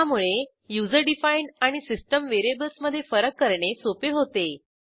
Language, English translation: Marathi, * This makes it easy to differentiate between user defined and system variables